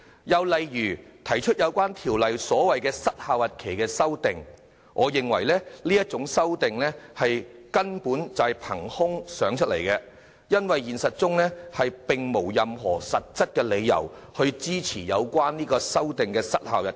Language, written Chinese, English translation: Cantonese, 又例如，提出《條例草案》加入"失效日期"的修正案，我認為這種修訂根本是憑空想象出來的，因為現實中並沒有任何實質理由支持相關失效日期。, Another example is those amendments proposing the addition of an expiry date to the Bill . I consider this sort of amendments the product of pure imagination as there is no substantial ground whatsoever in reality to justify such an expiry date